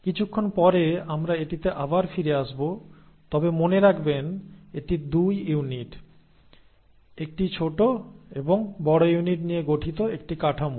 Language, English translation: Bengali, We will come to this little later again but remember it is a structure made up of 2 units, a small and large unit